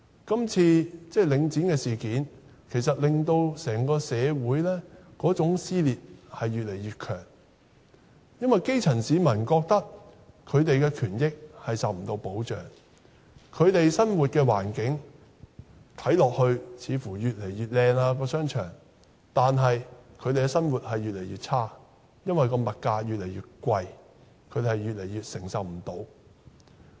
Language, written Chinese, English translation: Cantonese, 今次領展的事件，令整個社會的撕裂越來越嚴重，因為基層市民覺得他們的權益不受保障，在他們生活的環境中的商場看似越來越美觀，但他們的生活卻越來越差，因為物價越來越貴，他們也越來越無法承受。, The grass roots feel that their rights are not protected . They find that the shopping malls in their living environment seem to get ever more splendid but their life is getting ever more miserable because the rising prices of goods are becoming increasingly unaffordable to them